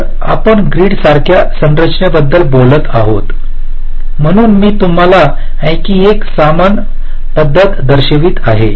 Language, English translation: Marathi, so, talking about the grid like structure, so i am showing you another kind of a similar approach